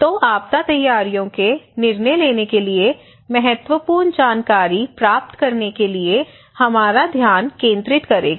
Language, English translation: Hindi, So, what is the role of social networks to collect, to obtain critical information for making disaster preparedness decisions that would be our focus